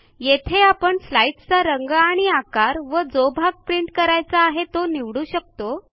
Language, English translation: Marathi, Here you can choose the parts of the slide that you want to print, the print colours and the size